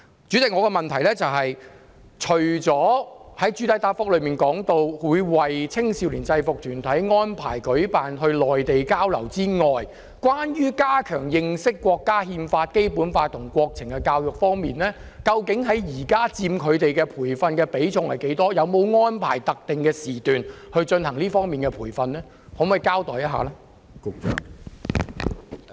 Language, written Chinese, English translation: Cantonese, 主席，我的補充質詢是，除了局長在主體答覆中表示，會為青少年制服團體安排到內地交流外，關於加強認識國家《憲法》、《基本法》和國情教育方面，究竟佔他們現在的培訓比重多少，有沒有安排特定時段進行這方面的培訓，可否請局長稍作交代？, President my supplementary question is aside from the exchange programmes on the Mainland organized for youth UGs as mentioned by the Secretary in the main reply what is the proportion of the training on promoting the understanding of Chinas Constitution the Basic Law and national affairs in the overall training currently provided by these UGs? . Is there any specific time schedule for conducting training in these areas? . Could the Secretary please explain?